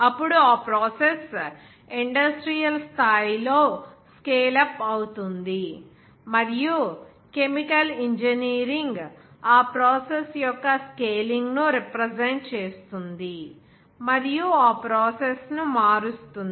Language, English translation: Telugu, Then that process will be scale up in industrial scale, and chemical engineering represents the scaling of that process and converting this process